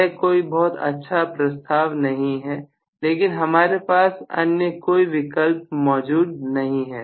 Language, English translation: Hindi, So, it is not really a very good proposition but we do not have any other option